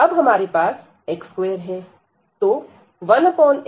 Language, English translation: Hindi, And now we have here x square, so 1 over x square